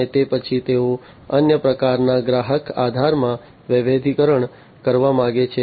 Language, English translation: Gujarati, And thereafter, they want to diversify to another type of customer, you know, customer base